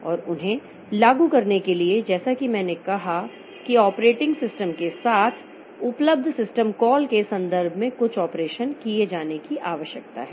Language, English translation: Hindi, And for implementing them, as I said, that it requires some operation to be done in terms of system calls available with the operating system